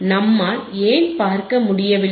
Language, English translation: Tamil, Why we were not able to see